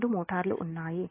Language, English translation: Telugu, this is actually motors